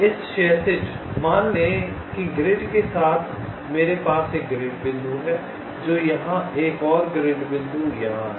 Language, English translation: Hindi, let say, along the grid i have one grid point, let say here and one grid point here